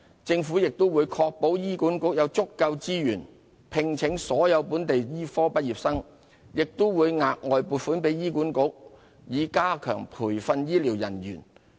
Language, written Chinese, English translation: Cantonese, 政府亦會確保醫管局有足夠資源聘請所有本地醫科畢業生，並會額外撥款給醫管局以加強培訓醫療人員。, The Government will also ensure that HA has adequate resources to employ all local medical graduates and will provide HA with additional funding to enhance the training of health care personnel